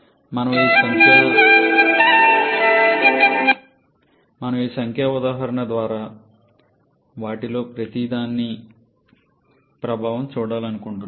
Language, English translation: Telugu, We should would like to show the effect of each of them through this numerical example